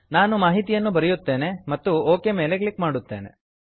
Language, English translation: Kannada, I will enter the information and click on OK